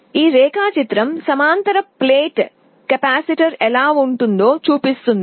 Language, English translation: Telugu, This diagram shows how a parallel plate capacitor looks like